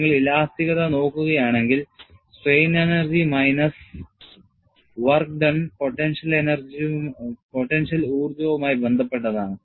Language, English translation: Malayalam, And if you look at elasticity, you will have strain energy minus work done would be related to a potential energy